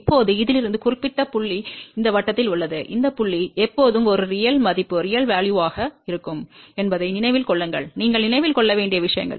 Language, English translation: Tamil, Now, since this particular point lies on this circle, remember this point will always be a real value be one a few things you have to remember